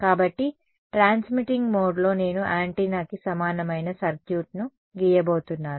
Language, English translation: Telugu, So, in the transmitting mode I am going to draw the circuit equivalent of antenna right